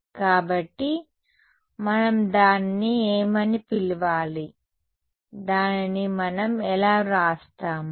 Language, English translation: Telugu, So, what can we call it, how will we write it